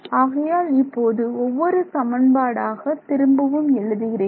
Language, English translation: Tamil, So, now, let us just rewrite equation one over here